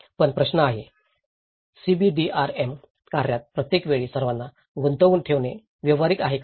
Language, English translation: Marathi, But the question is; is it practical to involve everyone all the time in CBDRM activities